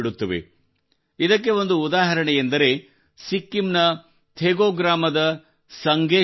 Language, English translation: Kannada, The example of this has been set by Sange Sherpa ji of Thegu village of Sikkim